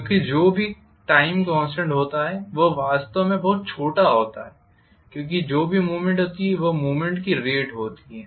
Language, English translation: Hindi, Because the time constant happens to be really really small as compared to whatever is the movement the rate movement